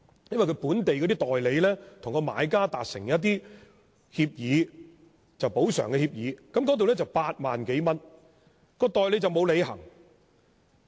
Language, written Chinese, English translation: Cantonese, 因為本地的代理與買家達成補償協議，當中涉及8萬多元，但代理沒有履行責任。, The reason is that some Hong Kong agents entered into compensation agreements with purchasers to pay compensation of some 80,000 but failed to honour their pledge